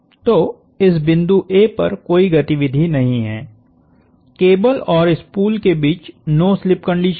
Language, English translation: Hindi, So, at this point A, there is no movement there is no slip between the cable and the spool